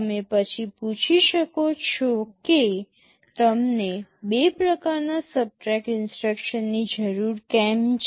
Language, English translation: Gujarati, You may ask why you need two kinds of subtract instruction